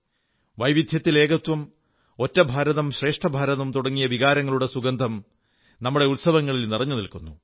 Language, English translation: Malayalam, Our festivals are replete with fragrance of the essence of Unity in Diversity and the spirit of One India Great India